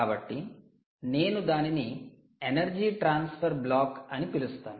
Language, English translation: Telugu, so i will call the ah energy transfer block